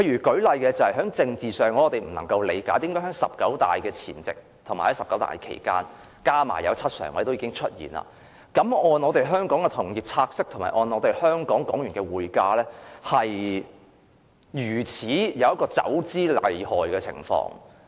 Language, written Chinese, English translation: Cantonese, 舉例來說，在政治上，我無法理解為何在"十九大"前夕及期間 ，7 名政治局常委已經選出，但香港的同業拆息及港元匯價市場竟然出現走資厲害的情況。, For example in terms of politics I cannot comprehend why before and during the 19 National Congress of the Communist Party of China when the seven members of the Politburo Standing Committee had already been selected there were surprisingly serious capital outflows from Hong Kongs interbank money market and the Hong Kong dollar foreign exchange market